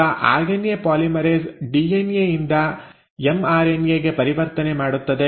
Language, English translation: Kannada, So now its the RNA polymerase which will do this conversion from DNA to mRNA